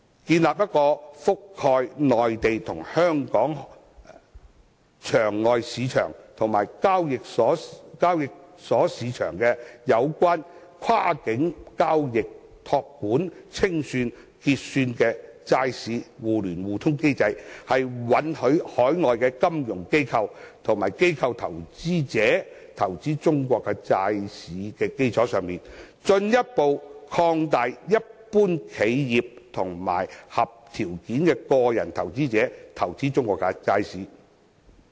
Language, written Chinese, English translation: Cantonese, 建立一個覆蓋內地和香港場外市場和交易所市場，跨境交易、託管、清算和結算的債市互聯互通機制，在允許海外金融機構和機構投資者投資中國債市的基礎上，進一步擴大一般企業和合條件的個人投資者投資中國債市。, We hope that an over - the - counter market and trading market covering the Mainland and Hong Kong as well as a connected bond system catering for cross - boundary bond trading custody and clearing can be established so that on the basis of accepting investment from overseas financial institutions and institutional investors in the China bond market the Hong Kong bond market can be further developed